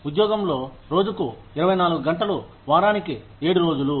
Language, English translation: Telugu, On the job, 24 hours a day, 7 days a week